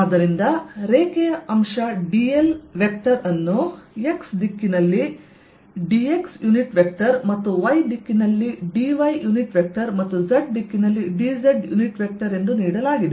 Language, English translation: Kannada, so line element d l vector is given as d, x unit vector in x direction, plus d y unit vector in y direction, plus d z unit vector in z direction